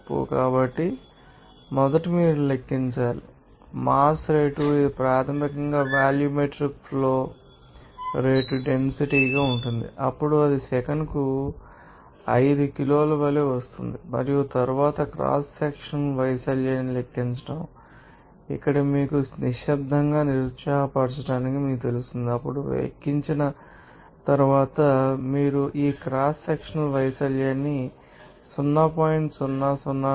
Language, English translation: Telugu, So, to calculate that, first of all you have to calculate or to the mass flow rate of that water, this is basically volumetric flow rate into density then it will be coming as your 5 kg per second and then calculate the cross sectional area of the phi it will be you know quiet discouraged by for here d is given to you, then after calculation, you will get this cross sectional area of 0